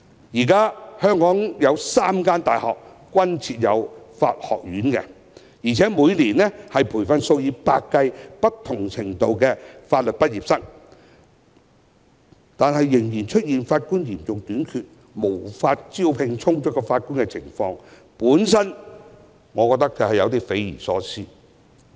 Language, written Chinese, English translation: Cantonese, 現時香港有3間大學設有法學院，每年培訓數以百計不同程度的法律畢業生，但仍然出現法官嚴重短缺，無法招聘足夠法官的情況，我覺得有點匪夷所思。, Currently three universities in Hong Kong have set up law faculties which train hundreds of law graduates of different levels every year . And there still exists a severe shortage of Judges . I find the failure to recruit sufficient Judges inconceivable